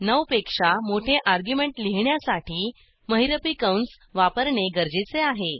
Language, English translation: Marathi, To write an argument greater than 9, we need to use curly brackets